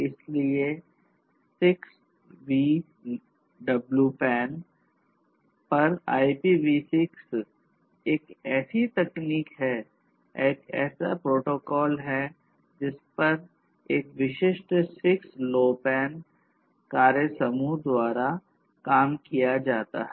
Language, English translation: Hindi, So, IPv6 over 6LoWPAN is one such technology; one such protocol one such protocol which is being worked upon by a specific 6LoWPAN working group